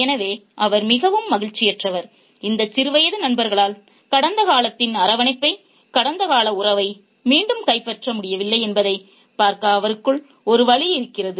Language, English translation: Tamil, There is a pain in him to see that these childhood friends have not been able to recapture the warmth of the past, the past relationship